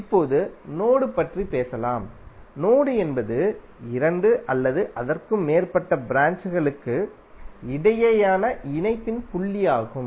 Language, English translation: Tamil, Now let us talk about node, node is the point of connection between two or more branches